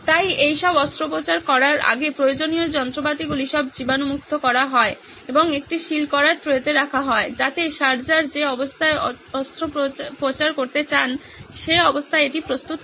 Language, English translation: Bengali, So before the surgery is performed all of this, the instruments needed are all sterilized and kept on a sealed tray so that it’s ready when the surgery has to be performed in the state that the surgeon wants it to be